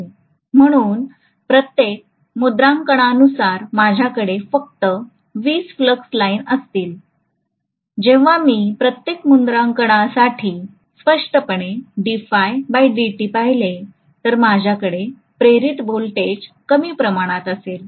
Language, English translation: Marathi, So per stamping, I will have only 20 flux lines, so when I look at d phi by DT obviously for every stamping, I am going to have reduced amount of voltage induced